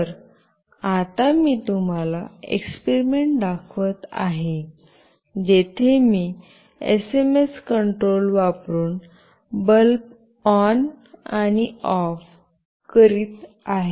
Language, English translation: Marathi, So, now I will be showing you the experiments, where I will be switching ON and OFF a bulb using SMS control